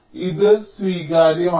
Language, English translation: Malayalam, so this can be acceptable